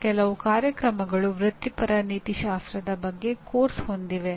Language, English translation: Kannada, Some programs have a course on Professional Ethics